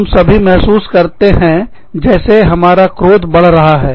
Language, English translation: Hindi, All of us, feel like, our temper is rising